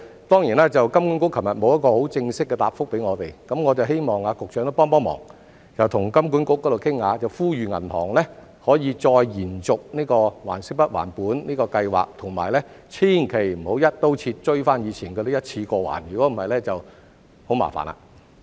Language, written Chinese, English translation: Cantonese, 當然，金管局昨天沒有很正式的答覆給我們，所以我希望局長幫忙跟金管局商量，呼籲銀行再延續還息不還本的計劃，以及千萬不要"一刀切"追回以前那些欠款，要求一次過償還，否則便會很麻煩了。, Sure enough HKMA did not give us an official reply yesterday so I hope that the Secretary does us a favour by discussing with HKMA and calling on the banks to extend the principal payment holidays again and absolutely not to request a one - off repayment of the previously outstanding loans across the board otherwise it will be disastrous